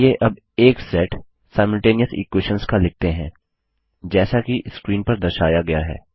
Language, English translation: Hindi, Let us write a set of Simultaneous equations now as shown on the screen